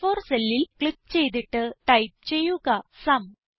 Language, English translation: Malayalam, Click on the cell A4 and type SUM